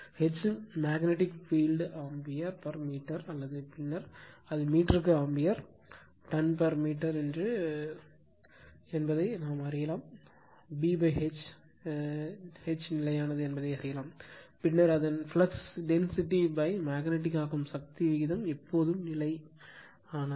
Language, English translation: Tamil, And H right the magnetic field ampere per meter or we will later we will see it is ampere tons per meter that B by H is constant, then its flux density by magnetizing force ratio is always constant right